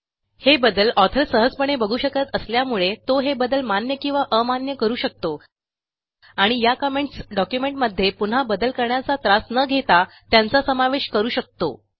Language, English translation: Marathi, This can be easily seen by the author who can accept or reject these changes and thus incorporate these edit comments without the effort of making the changes once again